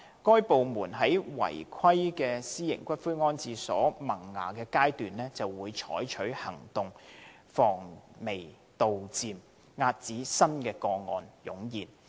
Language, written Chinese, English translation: Cantonese, 該等部門在違規私營骨灰安置所萌芽階段便採取行動，防微杜漸，遏止新個案湧現。, They have been nipping in the bud unauthorized private columbaria which have yet to start columbarium operations so as to help contain the proliferation of newly - emerging cases